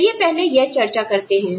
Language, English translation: Hindi, Let us first discuss that